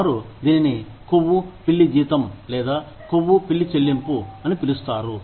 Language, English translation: Telugu, They call it, the fat cat salary, or fat cat pay